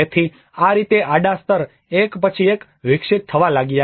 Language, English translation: Gujarati, So, this is how this horizontal layer started developing one over the another